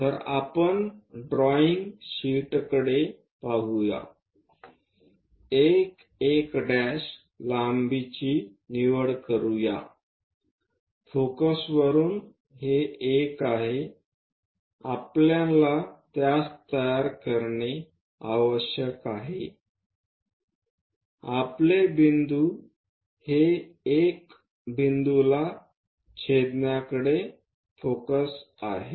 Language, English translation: Marathi, So, let us look at drawing sheet 1 1 dash pick that length, this is the 1 from focus we have to construct it, our focus is this on to one intersect it this is the point